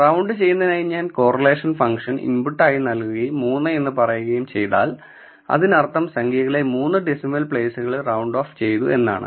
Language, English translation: Malayalam, So, if I give round and I am giving the input as my correlation function and if I am saying 3 it means round of the number to 3 decimal places